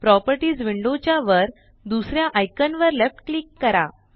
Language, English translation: Marathi, Left click the third icon at the top row of the Properties window